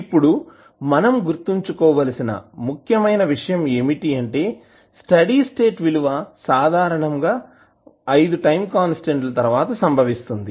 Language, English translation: Telugu, Now, the important thing which we have to remember is that at steady state value that typically occurs after 5 time constants